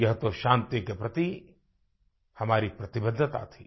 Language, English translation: Hindi, This in itself was our commitment & dedication towards peace